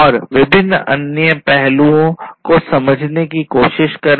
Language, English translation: Hindi, And try to understand the different other aspects